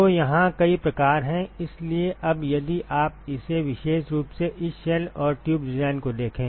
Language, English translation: Hindi, So, there are several types here so, now if you look at this specifically this shell and tube design